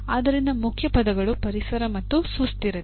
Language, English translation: Kannada, So the keywords are environment and sustainability